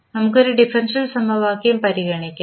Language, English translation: Malayalam, Let us consider one differential equation